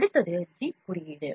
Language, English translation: Tamil, Next one is G code